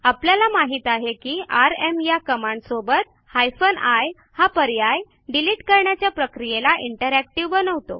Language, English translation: Marathi, We know that hyphen i option of the rm command makes the removal process interactive